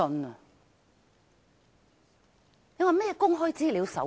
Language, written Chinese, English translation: Cantonese, 你說這是甚麼《公開資料守則》？, Tell me what kind of a Code on Access to Information is that?